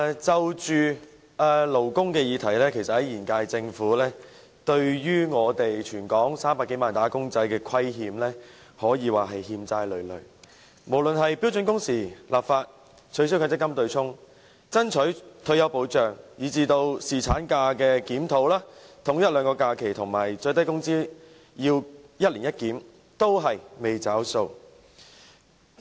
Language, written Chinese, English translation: Cantonese, 在勞工議題上，現屆政府對全港300多萬名"打工仔"可謂欠債累累，無論是標準工時立法、取消強制性公積金對沖、爭取退休保障，以至檢討侍產假、統一法定假日和公眾假期，以及最低工資要一年一檢，均未"找數"。, Insofar as labour issues are concerned the current - term Government has owed the 3 million - odd wage earners in Hong Kong huge debts . Whether it be legislating for standard working hours abolition of the Mandatory Provident Fund MPF offsetting arrangement campaigning for retirement protection or even the review of paternity leave alignment of statutory holidays with general holidays and the annual review of the minimum wage the Government has yet repaid its debts